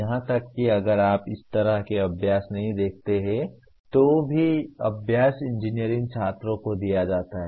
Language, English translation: Hindi, Even this in practice if you see not much of this kind of exercises are given to the engineering students